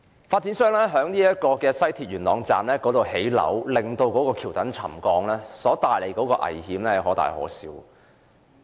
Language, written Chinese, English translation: Cantonese, 發展商在西鐵元朗站興建樓宇導致橋躉沉降，所帶來的危險可大可小。, The danger posed by the viaduct pier settlement arising from the residential development on the Yuen Long Station of West Rail Line may be substantial